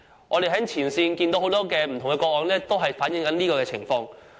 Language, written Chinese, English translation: Cantonese, 我們在前線接獲的很多個案都反映了這種情況。, Many cases we have received in the front line have reflected such a situation